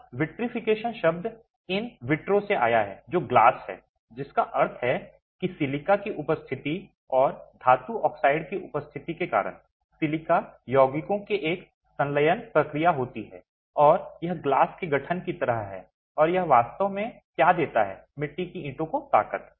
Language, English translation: Hindi, Now the word vitrification comes from vitro which is glass which means because of the presence of silica's and the presence of metallic oxides there's a fusion process of the silica compounds and it's like formation of glass and that's really what gives strength to clay to the clay bricks